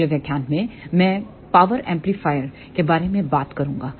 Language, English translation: Hindi, ah In the next lecture I will talk about power amplifiers